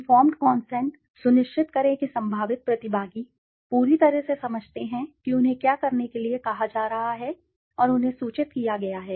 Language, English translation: Hindi, Informed consent, ensure that potential participants fully understand what they are being asked to do and that they are informed